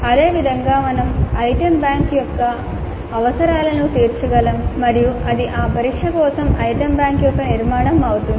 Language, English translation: Telugu, Similarly we can work out the requirements of the item bank and that would be the structure of the item bank for the test